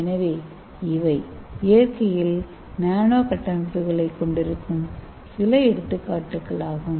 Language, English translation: Tamil, So these are some of the examples of nanoscale structures in the nature